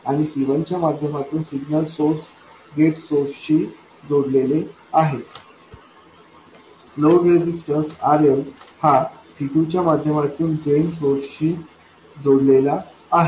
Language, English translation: Marathi, And the signal source is connected to the gate source via C1, the load resistance RL is connected to the drain source via C2